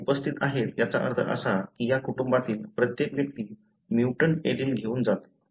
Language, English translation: Marathi, They are present that means every individual of this family carries the mutant allele